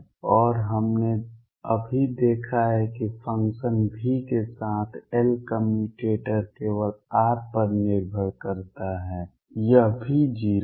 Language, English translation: Hindi, And we have just seen that L commutator with function V with that depends only on r it is also 0